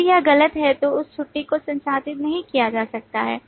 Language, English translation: Hindi, If it is false, then that leave cannot be processed